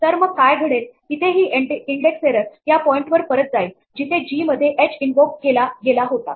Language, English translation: Marathi, So, what will happen here is that this index error will go back to the point where, h was invoked in g